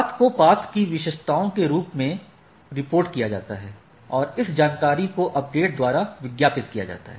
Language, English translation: Hindi, The path is reported as a collection of path attributes this information advertised by the update things